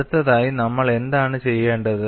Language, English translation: Malayalam, What we have to do next